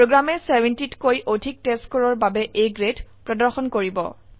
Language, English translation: Assamese, The program will display A grade for the testScore greater than 70